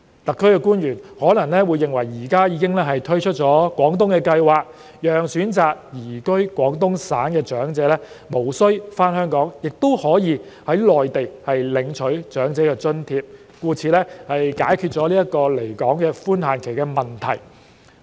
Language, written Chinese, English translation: Cantonese, 特區官員可能會認為現已推出廣東計劃，讓選擇移居廣東省的長者無須返港，也可以在內地領取長者津貼，解決了離港寬限期的問題。, SAR officials may think that with the implementation of the Guangdong Scheme elderly people who choose to reside in Guangdong can receive the allowances for the elderly in the Mainland without returning to Hong Kong . Thus the problem relating to the permissible limit of absence from Hong Kong has been addressed